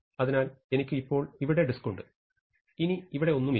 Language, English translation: Malayalam, So, I now have disk here and I no longer have anything there